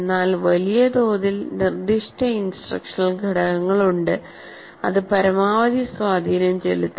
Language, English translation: Malayalam, But by and large, there are certain instructional components that will have maximum impact